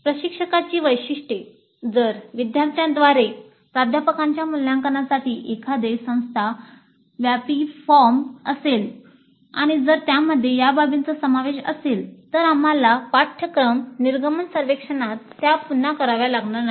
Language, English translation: Marathi, Then instructor characteristics as I mentioned if there is an institute wide form for faculty evaluation by students and if that form covers these aspects then we don't have to repeat them in the course exit survey